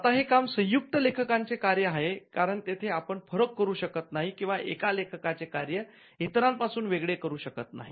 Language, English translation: Marathi, Now the work is a work of joint authorship because, there you cannot distinguish or you cannot separate the work of one author from the others